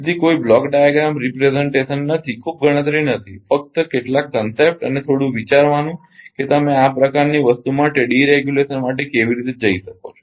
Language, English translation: Gujarati, So, no block diagram representation, not much calculation just some concept and little bit of thinking that ah how you can go for deregulation for such kind of thing